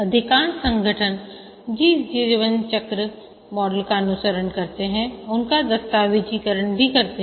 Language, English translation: Hindi, Most organizations, they document the software lifecycle model they follow